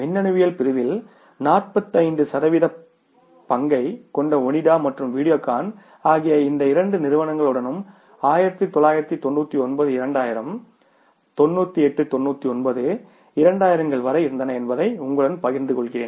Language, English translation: Tamil, I would share with you that Onida and Videocon who had a larger market share, about 45% market share in the electronics segment was with these two companies till even 99,000 or 98 99, 2000, today these companies are surviving for their existence in the market